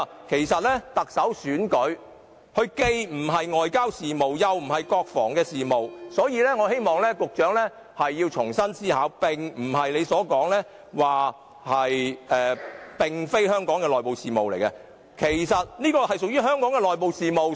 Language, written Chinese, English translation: Cantonese, 其實，特首選舉既非外交事務，亦非國防事務，所以我希望局長重新思考，情況並非一如他所說，這不是香港的內部事務：這件事其實屬於香港的內部事務。, As a matter of fact since the Chief Executive election is neither a foreign affair nor a national defence I hope that the Secretary will reconsider his saying that the election is not Hong Kongs internal affair . It is indeed Hong Kongs internal affair